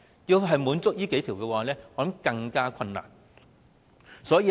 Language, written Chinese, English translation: Cantonese, 要滿足這數項條件，我認為更加困難。, I think it will be even more difficult to meet these criteria